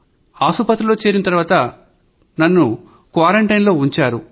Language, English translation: Telugu, When I was admitted to the hospital, they kept me in a quarantine